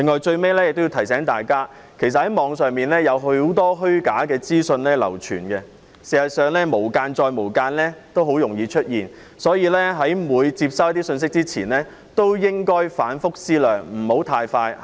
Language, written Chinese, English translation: Cantonese, 最後，我亦要提醒大家，網上有很多虛假資訊流傳，事實上，"無間"再"無間"也很容易出現，所以，每次接收信息前也要反覆思量，不要太快下判斷。, Lastly let me remind the public that there is a lot of false information on the Internet . In fact it is common to find double agents or redoubled agents . Thus we must carefully consider the truth of every message received and should not jump to conclusions